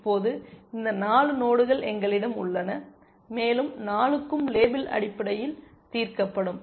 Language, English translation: Tamil, So, now, we have these 4 nodes and all 4 will get label solved essentially